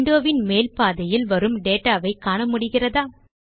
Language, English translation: Tamil, Can you see some data in the upper half of the window